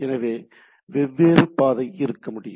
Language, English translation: Tamil, So, there can be different path